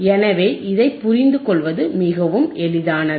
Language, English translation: Tamil, So, it is very easy to understand